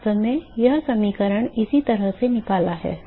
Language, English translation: Hindi, In fact, that is how the this equation is derived